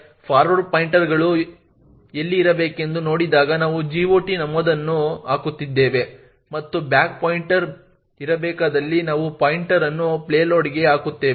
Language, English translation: Kannada, In see in where the forward pointers is supposed to be we are putting the GOT entry and where the back pointer is supposed to be we have putting the pointer to the payload